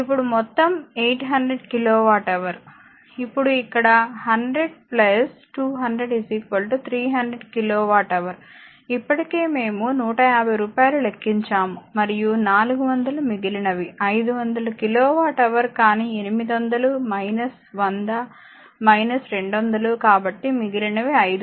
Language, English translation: Telugu, Now, totally is your 800 kilowatt hour, now here it is 100 plus, 200, 300 kilowatt hour already we have computed rupees 150 and 400 remaining will be 500 kilowatt hour , but the 800 minus 100 minus 200 so, remaining 500